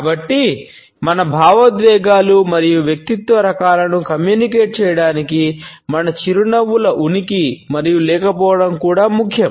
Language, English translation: Telugu, So, our smiles as well as laughter the presence and absence of these also matter in order to communicate our emotions and personality types